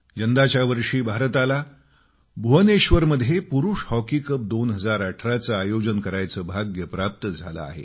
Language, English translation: Marathi, This year also, we have been fortunate to be the hosts of the Men's Hockey World Cup 2018 in Bhubaneshwar